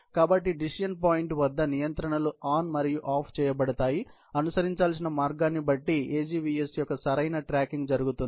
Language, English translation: Telugu, So, at the decision point, the controls are switched on and off, depending on the path to be followed so that, correct tracking of the AGVS can happen at the decision point